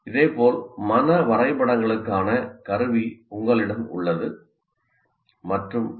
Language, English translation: Tamil, Similarly, you have a tool for mind map and so on